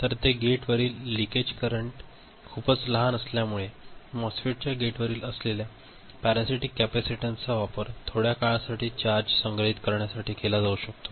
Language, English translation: Marathi, So, the leakage current at the gate is very small so, the parasitic capacitance that would be there at the gate of the MOSFET that can be used to store charge for a short time